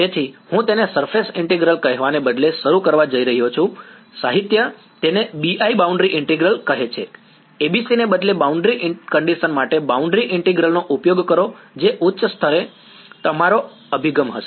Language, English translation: Gujarati, So, I am going to start instead of calling it surface integral the literature calls it BI boundary integral, use boundary integral for boundary conditions instead of ABC that is going to be our approach the at the high level ok